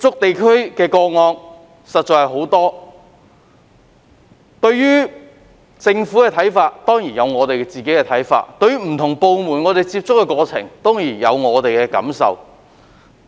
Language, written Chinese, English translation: Cantonese, 對於政府的政策，我們當然有自己的看法，而在接觸不同部門的過程中，當然亦有自己的感受。, We of course have our views on the Governments policies and we certainly have our feelings in our dealings with various departments